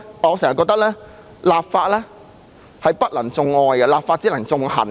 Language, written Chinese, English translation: Cantonese, 我一直覺得立法不能種愛，只能夠種恨。, I have long held that legislation can only generate hatred instead of love